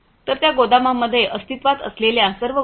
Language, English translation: Marathi, So, the inventories that are existing in those warehouses